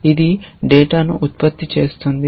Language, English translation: Telugu, It produces the data